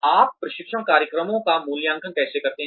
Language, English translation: Hindi, How do you evaluate, training programs